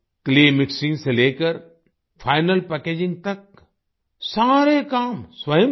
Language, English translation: Hindi, From Clay Mixing to Final Packaging, they did all the work themselves